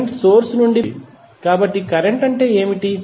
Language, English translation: Telugu, Current is flowing from the source, so what is the current